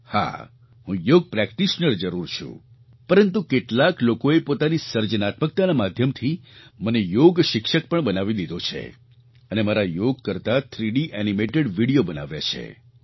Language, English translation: Gujarati, But yes, I surely am a Yoga practitioner and yet some people, through their creativity, have made me a Yoga teacher as well and 3D animated videos of my yoga practice sessions have been prepared